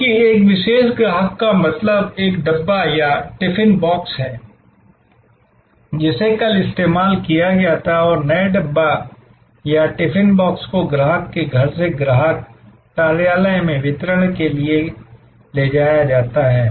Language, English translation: Hindi, Because a particular customer means one dabba or a tiffin box is delivered empty, which was used yesterday and the new dabba or the tiffin box is taken from the customer’s home for delivery to the customers office